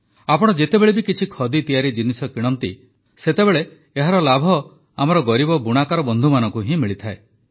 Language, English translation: Odia, Whenever, wherever you purchase a Khadi product, it does benefit our poor weaver brothers and sisters